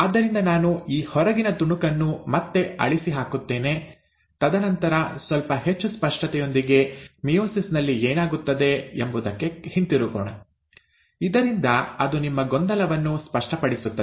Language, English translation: Kannada, So let me just erase this outer bit again, and then come back to what happens in meiosis a little more in clarity, so that it clarifies your confusion again